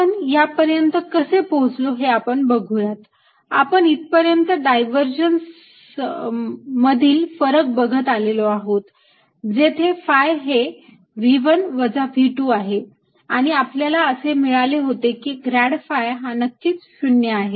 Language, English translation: Marathi, we arrives at this by looking at a divergence of the difference where phi is v one minus v two, and this we used to get that grad phi must be zero